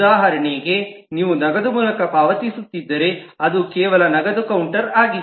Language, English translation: Kannada, for example, if you are paying through cash, then it is just the cash counter